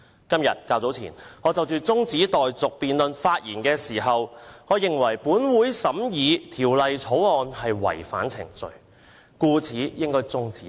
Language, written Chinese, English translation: Cantonese, 今天較早時，我就中止待續議案發言時指出，我認為本會審議《條例草案》違反程序，故此應該中止有關審議。, Earlier today during my speech on the adjournment motion I pointed out that the Councils consideration of the Bill constitutes a violation of procedure and thus it should be terminated